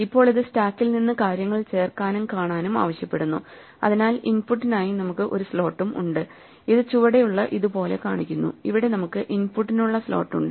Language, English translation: Malayalam, Now this requires us to also add and view things from the stack, so we also have a slot for input which is shown as a kind of a thing at the bottom here we have the slot for input